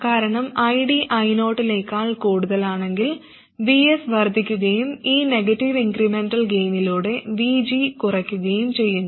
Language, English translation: Malayalam, Because if ID is more than I 0, then VS increases and through this negative incremental gain VG reduces